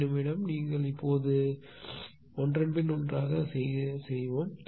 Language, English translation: Tamil, Let me just just one minute just you go now one one after another right